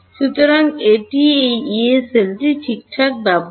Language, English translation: Bengali, So, this is the use of this Yee cell alright